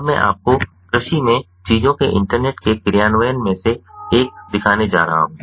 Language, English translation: Hindi, now i am going to show you one of the implementations of internet of things in agriculture